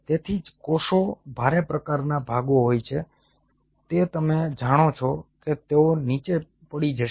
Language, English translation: Gujarati, so those cells which are heavier, kind of chunks, you know they will be kind of